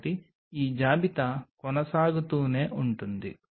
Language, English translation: Telugu, so this list can go on and on